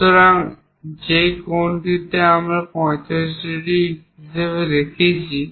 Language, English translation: Bengali, So, that angle what we are showing as 45 degrees